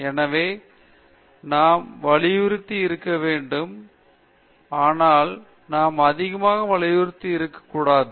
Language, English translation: Tamil, So, we need to be stressed, but we should not be too much stressed